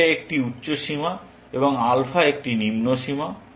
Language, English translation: Bengali, Beta is an upper limit and alpha is a lower limit